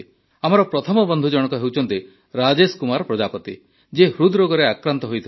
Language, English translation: Odia, Our first friend is Rajesh Kumar Prajapati who had an ailment of the heart heart disease